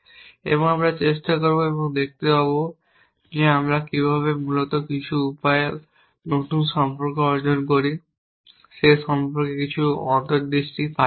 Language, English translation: Bengali, And we will try and see whether we get some insight into how we acquire new relations in the in some manner essentially